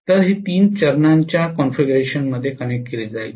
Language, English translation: Marathi, So this will be connected in three phase configuration